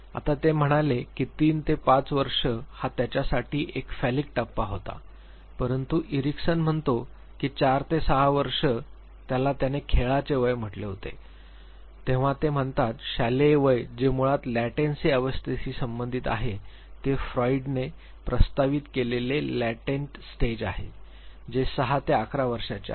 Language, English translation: Marathi, Now he said 3 to 5 was phallic stage for him, but Erickson says that 4 to 6 year what he called as play age then he says school age which basically corresponds to the latency is stage proposed by Freud which is 6 to 11 years of age